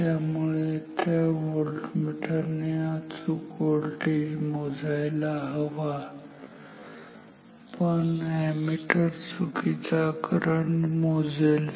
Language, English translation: Marathi, So, that the voltmeter reads the correct voltage, but the ammeter will read erroneous current